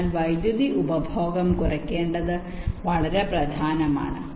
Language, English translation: Malayalam, so reducing the power consumption is of paramount important